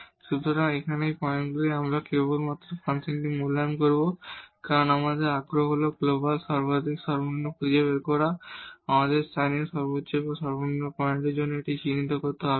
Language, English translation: Bengali, So, here these points we will evaluate simply the function because our interest is to find the global maximum minimum, we do not have to identify each of this point for local maximum or minimum